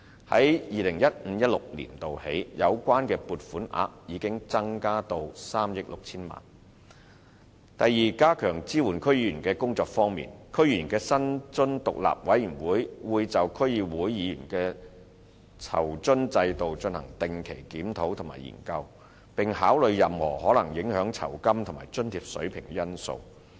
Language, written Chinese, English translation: Cantonese, 由 2015-2016 年度起，有關撥款額已增至3億 6,000 多萬元；第二，在加強支援區議員的工作方面，香港特別行政區區議會議員薪津獨立委員會會就區議會議員的酬津制度進行定期檢討和研究，並考慮任何可能影響酬金及津貼水平的因素。, Second as a measure to enhance the support for DC members the Independent Commission on Remuneration for the Members of the District Councils of the Hong Kong Special Administrative Region will carry out periodic reviews and consideration of the remuneration package for DC members taking into account any factor that may affect the level of such remuneration and allowances